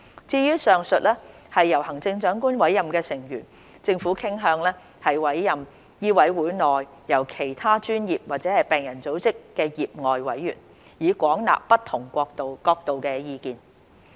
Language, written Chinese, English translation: Cantonese, 至於上述由行政長官委任的成員，政府傾向委任醫委會內來自其他專業或病人組織的業外委員，以廣納不同角度的意見。, As for the above mentioned members appointed by the Chief Executive the Government is inclined to appoint lay members of MCHK who are from other professions or patient organizations to collect views from different perspectives